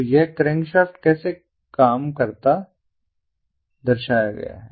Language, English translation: Hindi, so this is how the crankshaft works